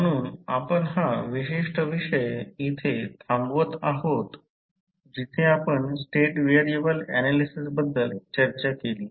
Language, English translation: Marathi, So, we close our this particular topic where we discuss about the State variable analysis